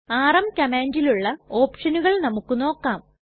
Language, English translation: Malayalam, Now let us look into some of the options of the rm command